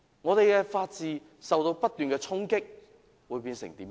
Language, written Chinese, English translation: Cantonese, 我們的法治不斷受衝擊，會變成怎樣？, If the rule of law in Hong Kong is challenged all the time what will happen?